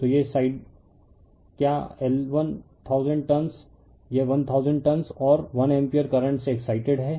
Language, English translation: Hindi, So, this side your, what you call 1000 turn, this is 1000 turn and excited by 1 ampere current right